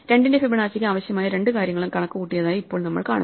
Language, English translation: Malayalam, Now we see that for Fibonacci of 2 both the things that it needs have been computed